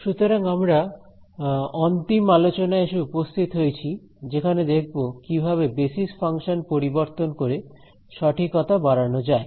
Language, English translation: Bengali, So, that brings us to the final discussion on improving accuracy by changing the Basis Functions